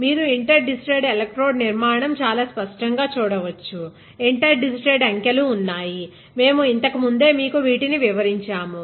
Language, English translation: Telugu, You can see in the interdigitated electrode structure very clearly, inter digitated, digits are there know, inter digitated